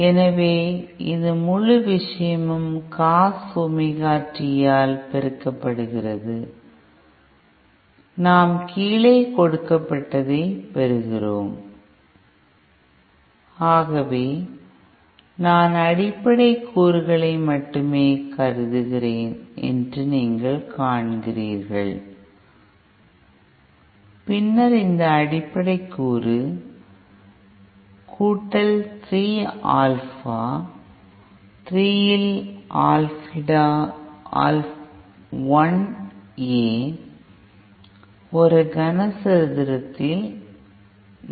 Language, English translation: Tamil, So this is this whole thing multiplied by Cos Omega t and then below that we have So you see I just consider the fundamental component, then that fundamental component will have amplitude Alpha 1 A in + 3 Alpha 3 A in cube upon 4